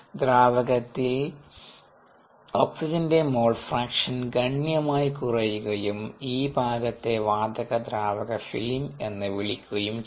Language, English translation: Malayalam, the mole fraction of oxygen requires quiet decreases quite drastically in the liquid, and this conceptual region is called the gas liquid film